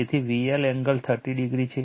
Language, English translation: Gujarati, So, V L angle 30 degree